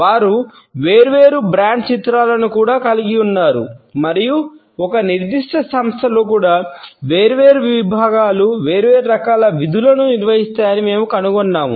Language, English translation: Telugu, They also have different brand images and even within a particular organization we find that different segments perform different type of duties